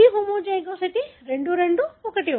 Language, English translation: Telugu, Again, see homozygosity 2 2, 1 1